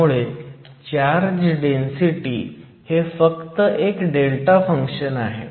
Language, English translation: Marathi, So, we just said that the charged density is a delta function and it is a constant